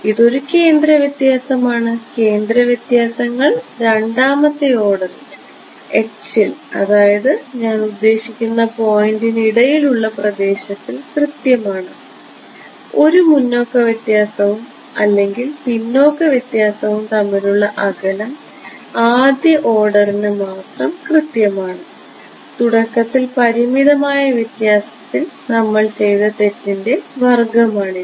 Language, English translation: Malayalam, It is a centre difference; centre differences is accurate to second order in h the spacing between a point that is what I mean and forward difference or backward difference are only accurate to first order it is the power of the error we have done that it in the beginning in finite difference ok